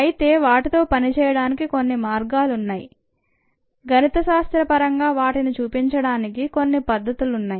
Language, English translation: Telugu, there are ways of doing them, there are ways of including them in the mathematical representation